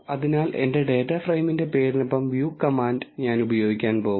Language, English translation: Malayalam, So, I am going to use the view command followed by the name of my data frame